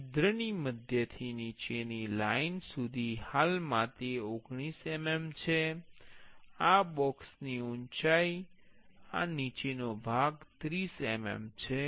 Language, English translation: Gujarati, From the center of the hole to the bottom linecurrently it is 19 mm; the height of this box this bottom part is 30 mm